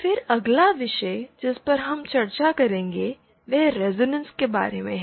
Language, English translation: Hindi, So, then the next topic that we shall be discussing is about resonance